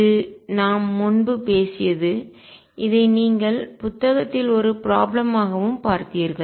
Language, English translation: Tamil, This we have talked about earlier and you have also seen this as a problem in the book